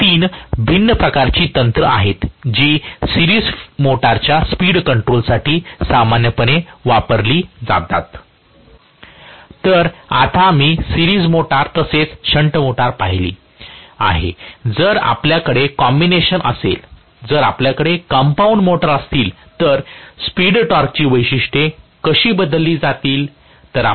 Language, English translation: Marathi, So, now that we have seen the series motor as well as shunt motor, if we have a combination, if we have compound motors, how are the speed torque characteristics going to change